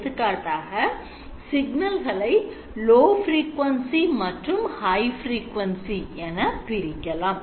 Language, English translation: Tamil, So for example you split it into high frequency and low frequency